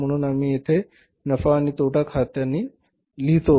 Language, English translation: Marathi, So, we write here buy profit and loss account